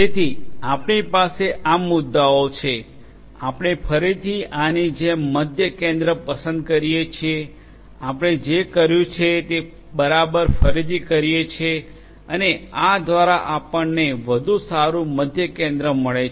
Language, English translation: Gujarati, So, we had these points, we again choose a centroid like this; we do exactly the same thing that we have done and we get a better centroid through this